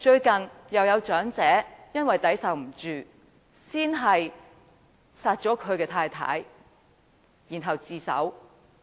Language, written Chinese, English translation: Cantonese, 近日又有長者因為抵受不住壓力，先殺死妻子再向警方自首。, Recently there was another incident in which an elderly man being unable to bear the pressure of life killed his wife and then turned himself in to the Police